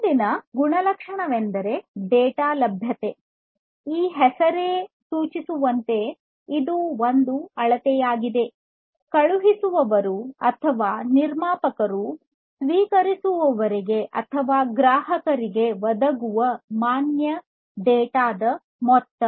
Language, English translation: Kannada, The next attribute is the data availability and availability as this name suggests it is a measurement of the amount of valid data provided by the by the sender or the producer to the receiver or the consumer